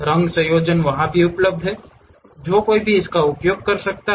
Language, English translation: Hindi, Color combinations also available there, which one can really use that